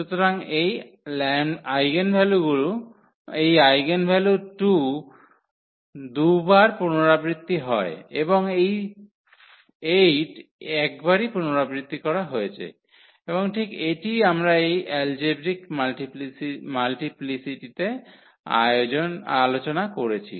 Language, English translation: Bengali, So, this eigenvalue 2 is repeated 2 times and this 8 is repeated 1 times, and exactly that is what we have discussed about this algebraic multiplicity